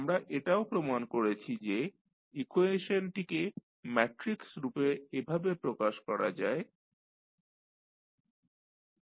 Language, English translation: Bengali, And, we also stabilized that the equation you can write in the matrix form as x dot is equal to ax plus bu